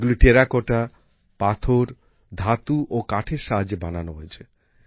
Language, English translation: Bengali, These have been made using Terracotta, Stone, Metal and Wood